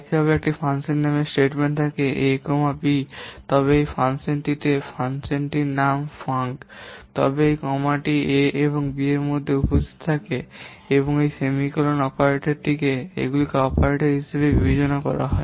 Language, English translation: Bengali, Similarly, if there is a function call statement, function A, B, then in this function, this function name funk, then this comma in present in between A and B and this semicolon operator these are considered the operators whereas variables A and B they are treated as the operands